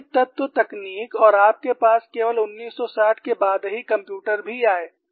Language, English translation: Hindi, The finite element technique and also the computers you had only after 1960